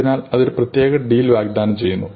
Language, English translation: Malayalam, So, it is offering a special deal